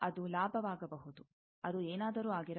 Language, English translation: Kannada, It may be gain; it may be anything